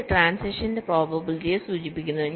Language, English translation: Malayalam, point three: these indicates the probability of transitions